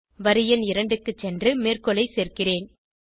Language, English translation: Tamil, I will go back to line number 2 and replace the quotes